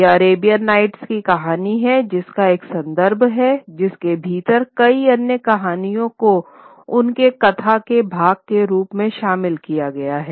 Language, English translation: Hindi, It becomes the story of Arabian Nights becomes a context within which many other stories are included as part of their narrative